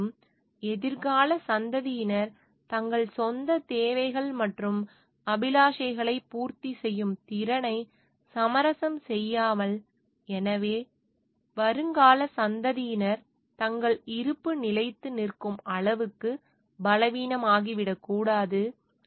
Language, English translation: Tamil, And without compromising the ability of future generation to meet their own needs and aspirations; so, the future generation should not become so weak that their existence is at stay